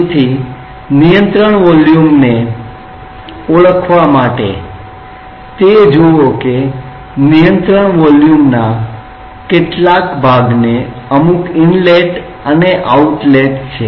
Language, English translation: Gujarati, So, to identify control volume see what part of the control volume will have some inlet and outlet